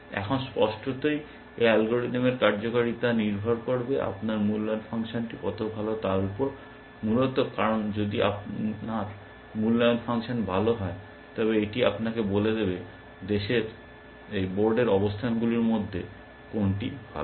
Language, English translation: Bengali, Now, clearly the performance of this algorithm will depend upon how good your evaluation function is, essentially, because if your evaluation function is good, then it will tell you which of the board positions are better